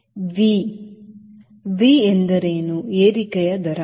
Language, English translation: Kannada, v is rate of climb